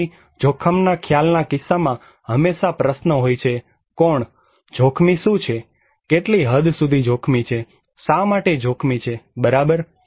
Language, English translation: Gujarati, So, in case of risk perception, always there is the question; who, what is risky, what extent is risky, why risky, right